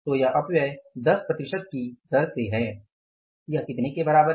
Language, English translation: Hindi, So, this wastage is at the rate of 10 percent is going to be how much